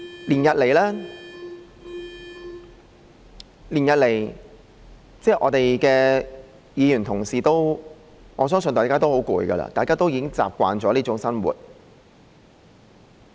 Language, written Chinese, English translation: Cantonese, 連日來，我相信我們的議員同事都很疲倦，大家已經習慣這種生活。, Over these few days I believe Honourable colleagues must have all been very fatigued . We have all got used to such a routine